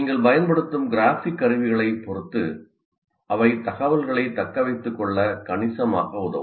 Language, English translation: Tamil, So, depending on the kind of graphic tools that you are using, they can greatly facilitate retention of information